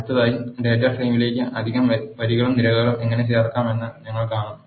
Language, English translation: Malayalam, Next, we will see how to add extra rows and columns to the data frame